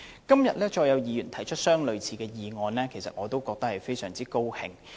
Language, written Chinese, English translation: Cantonese, 今天，再有議員提出類似議案，我感到十分高興。, I am delighted that a similar motion is moved in this Council again today